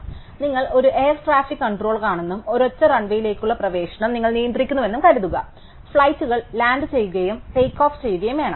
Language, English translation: Malayalam, So, supposing you are an air traffic controller and you controlling access to a single run way, flights have to land and takeoff